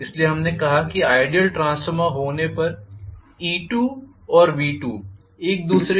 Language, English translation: Hindi, So, we said E2 and V2 will be equal to each other if it is ideal transformer